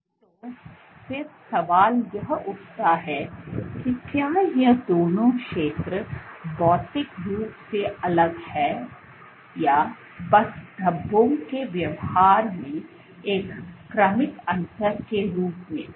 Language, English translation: Hindi, So, the question then arises that is it that these two zones are materially distinct or just as a gradual difference in the behavior of the speckles